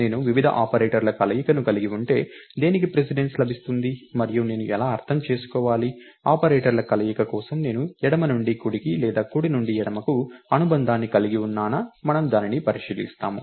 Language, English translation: Telugu, If I have a combination of various operators, what gets precedence and how do I interpret, do I have left to right association or right to left association for the combination of operators, we will look at that